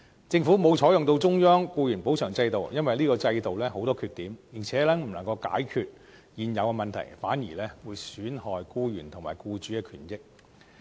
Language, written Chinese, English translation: Cantonese, 政府沒有採用中央僱員補償制度，因為這個制度有很多缺點，而且不能夠解決現有問題，反而會損害僱員和僱主的權益。, The Government did not adopt the central employees compensation scheme in the end as it was fraught with shortcomings . Not only was it unable to address the prevailing problems it would even jeopardize the rights and interests of employers and employees